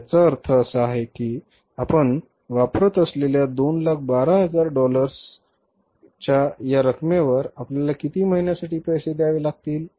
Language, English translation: Marathi, So, it means we have to pay on this amount of $21,000 which we use for how many months